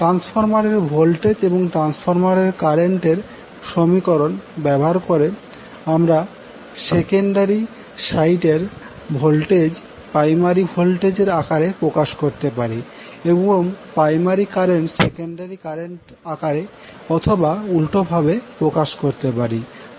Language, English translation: Bengali, Now, let us see other aspects of the transformer using transformer voltage and current transformation equations, we can now represent voltage that is primary site voltage in terms of secondary site voltage and primary current in terms of secondary current or vice versa